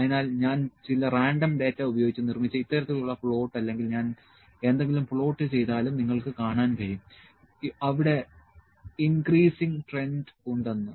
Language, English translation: Malayalam, So, this kind of plot which I have just made of just picked some random data or I am just plotted something, you can see there is an increasing trend